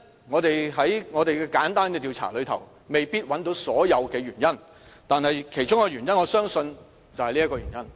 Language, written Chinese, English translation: Cantonese, 我們在簡單的調查中未必找到所有原因，但我相信其中一個原因涉及第三條問題。, We cannot give you an exhaustive list of reasons in this simple survey but I think one of the reasons should be related to the third question of this survey